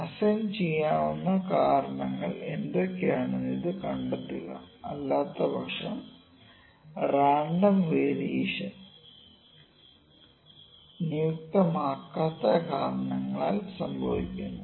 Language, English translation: Malayalam, I will put it like this find this, find this causes what are the assignable causes otherwise the random variation as we discussed before random variation is due to the non assignable causes